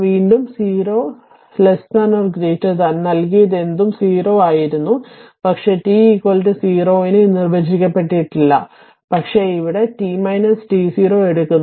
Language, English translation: Malayalam, There it was delta t less than 0 greater than 0 whatever is given 0 0, but at t is equal to 0 it is undefined, but here we are taking delta t minus t 0